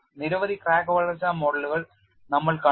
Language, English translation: Malayalam, We have seen several crack growth models